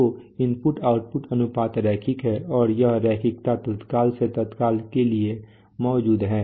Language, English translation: Hindi, So the input output ratio is linear and this linearity exists from instant to instant, right